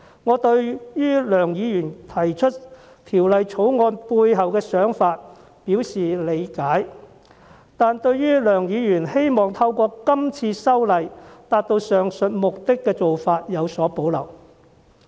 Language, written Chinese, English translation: Cantonese, 我對於梁議員提出《條例草案》背後的想法表示理解，但對於他希望透過今次修例達到上述目的的做法有所保留。, While I understand Mr LEUNGs idea in introducing the Bill I have reservations about the approach of making legislative amendments to achieve the said purpose